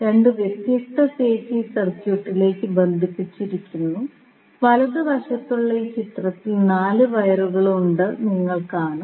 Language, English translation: Malayalam, So, 2 different phases are connected to these circuit and in this figure which is on the right, you will see there are 4 wires